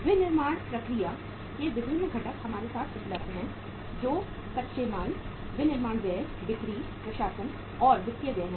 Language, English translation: Hindi, uh the different components of the say manufacturing process are available with us that is raw material, manufacturing expenses, selling, administration and financial expenses